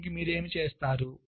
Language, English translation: Telugu, so what people do